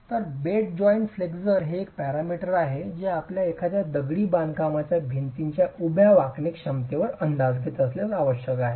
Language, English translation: Marathi, So, bed joint flexure is a parameter that is essential if you were to estimate the vertical bending capacity of a masonry wall